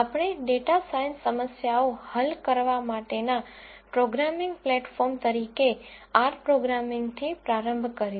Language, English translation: Gujarati, We started with R programming as the programming platform for solving data science problems